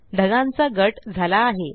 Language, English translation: Marathi, The clouds are grouped